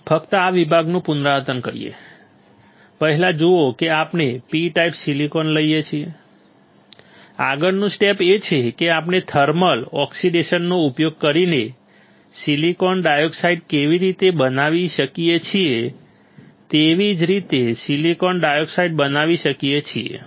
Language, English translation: Gujarati, Let us repeat only this section; see first is we take a P type silicon, next step is we grow silicon dioxide right how we grow silicon dioxide by using thermal oxidation